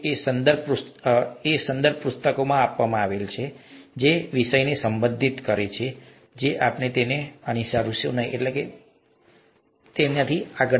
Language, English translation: Gujarati, These are reference books, so we won't be following them in the way they have addressed the subject and so on so forth